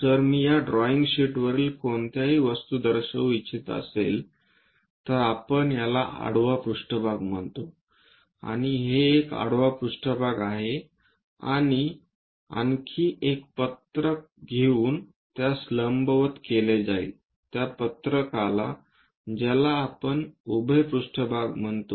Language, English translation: Marathi, If I would like to represent any object on this drawing sheet, the drawing sheet, this is what we call horizontal plane and this one this is horizontal plane and take one more sheet make it perpendicular to that and that sheet what we call vertical plane